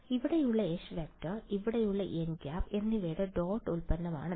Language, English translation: Malayalam, It is the dot product of H which is here and n which is here